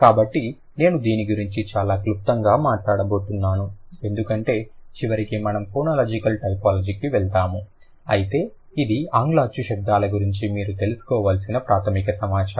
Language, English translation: Telugu, So, these are, I'm going to talk about it in a very brief manner because eventually we will move to phonological typology but this is the basic information that you need to know about English vowel sounds because a lot of examples are going to be given from this language